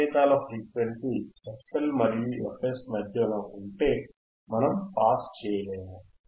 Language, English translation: Telugu, tThe signals between f L and f H we cannot pass